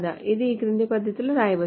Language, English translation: Telugu, This can be solved in the following manner